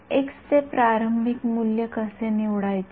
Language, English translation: Marathi, How do we choose an initial value for x